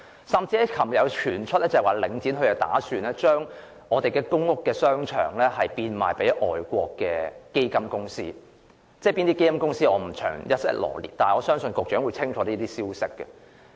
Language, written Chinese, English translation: Cantonese, 更甚的是，昨天有消息傳出，領展打算將一些公屋商場賣給外國基金公司，但我不會在此臚列有關基金公司的名稱，我相信局長清楚知道這些消息。, Worse still there were rumours alleging that the Link planned to sell certain shopping centres in PRH estates to foreign sovereign funds yet I will not list the names of the sovereign funds concerned here for I trust the Secretary knows this clearly